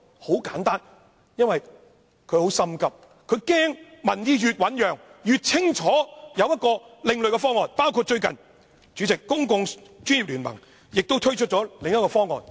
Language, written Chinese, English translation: Cantonese, 很簡單，因為她很着急，她害怕民意越醞釀，市民越清楚有另類的方案，包括最近由專家組成的公共專業聯盟亦推出另一項方案。, The answer is very simple . She is anxious . She fears that the more people discuss the issue the more they will realize the existence of alternative proposals including the recent proposal made by the Professional Commons a group of experts from various sectors